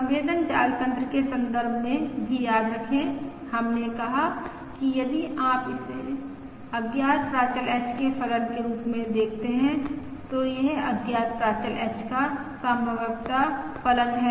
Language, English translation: Hindi, Also remember, in the context of the sensor network, we said: if we view it as a function of unknown parameter H, this is a likelihood function of the unknown parameter H